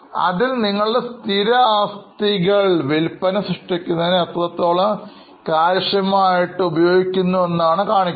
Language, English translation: Malayalam, So, it shows how efficiently you are utilizing your fixed assets to generate sales